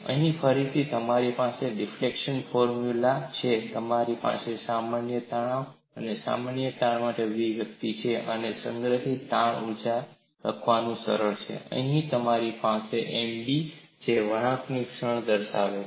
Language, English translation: Gujarati, Here again, you have the fracture formula, you have the expression for normal stress and normal strain, and it is easy to write the strain energy stored, and here we have M b which denotes the bending moment